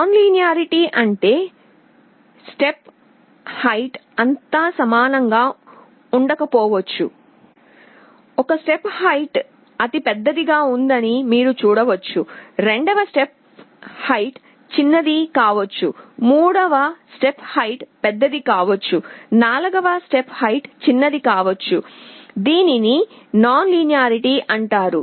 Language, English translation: Telugu, Nonlinearity means the step height may not all be equal, for one step you may see that it is going big, second step may be small, third step may be big, fourth step may be small, this is called nonlinearity